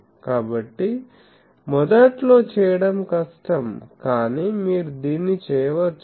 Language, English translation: Telugu, So, that is difficult to do initially, but you can do it